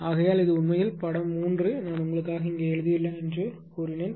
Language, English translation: Tamil, Therefore, this is actually figure 3 this is figure 3 whatever I told I have written here for you